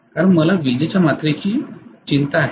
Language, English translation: Marathi, Because I am worried about the electrical quantity